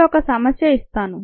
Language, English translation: Telugu, now let a problem be assigned